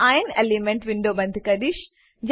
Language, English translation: Gujarati, I will close Iron elemental window